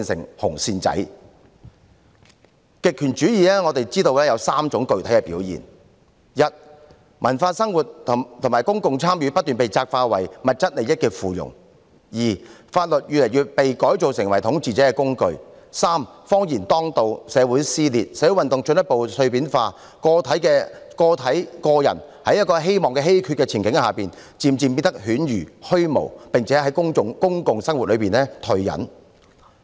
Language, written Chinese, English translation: Cantonese, 我們知道極權主義有3種具體的表現：一，文化生活和公共參與不斷被窄化為物質利益的附庸；二，法律越來越被改造成為統治者的工具；三，謊言當道，社會撕裂，社會運動進一步碎片化，個人在希望稀缺的前景下，漸漸變得犬儒虛無，並從公共生活中退隱。, We know that there are three manifestations of totalitarianism One cultural life and public participation are increasingly curtailed and made subservient to material interests; two the law is increasingly transformed into a tool for rulers and three lies are prevalent society is riven and social movements become further fragmented . Individuals in the face of limited prospect gradually become cynical nihilistic and withdraw from public life